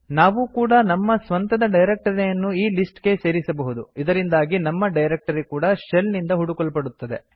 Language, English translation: Kannada, We can also add our own directory to this list so that our directory is also searched by the shell